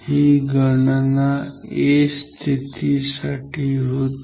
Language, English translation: Marathi, So, this calculation was for position a